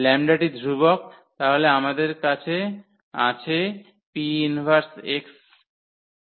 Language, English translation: Bengali, So, the lambda is constant so, we have P inverse x there